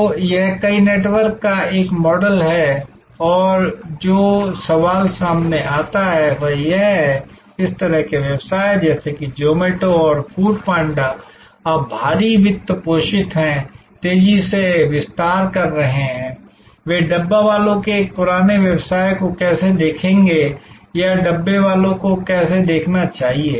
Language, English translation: Hindi, So, it is a model of many to many network and the question that comes up is that, this kind of business like Zomato and Food Panda now heavily funded, expanding rapidly, how will they look at this age old business of the Dabbawalas or how should the Dabbawalas look at them